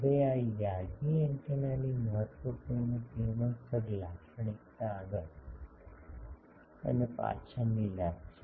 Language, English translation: Gujarati, Now, important radiation characteristic of this Yagi antenna is forward and backward gain